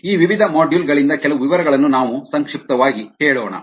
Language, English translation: Kannada, let us summarize some details from these various ah modules